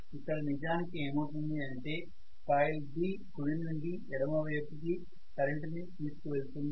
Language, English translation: Telugu, Only thing is what happens originally was coil B was carrying a current in the direction which is going from right to left